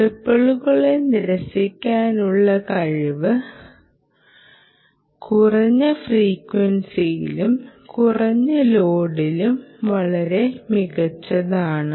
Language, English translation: Malayalam, ok, its ability to reject ripple and its ability to reject ripple is much superior at lower frequencies and at low loads